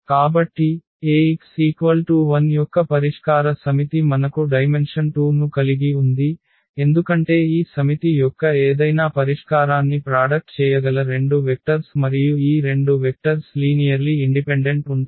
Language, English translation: Telugu, So, the solution set of Ax is equal to 0 we have the dimension 2, because these are the two vectors which can generate any solution of this set and these two vectors are linearly independent